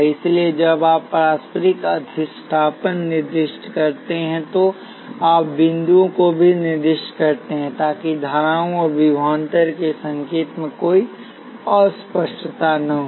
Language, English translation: Hindi, So, when you specify mutual inductance you also specify the dots, so that there is no ambiguity in the sign of currents and voltages